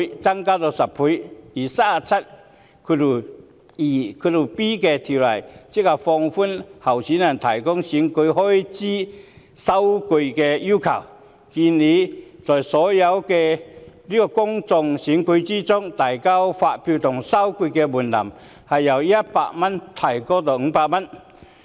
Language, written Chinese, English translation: Cantonese, 就第 372b 條的修訂則旨在放寬候選人提供選舉開支收據的要求，建議在所有的公眾選舉中，遞交發票及收據的門檻由100元提高至500元。, The amendments to section 372b seek to relax the requirements for the submission of receipts of election expenses by candidates . It is proposed that the threshold for the submission of invoices and receipts be increased from 100 to 500 in all public elections